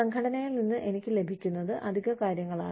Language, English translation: Malayalam, It is additional things, that I get, from the organization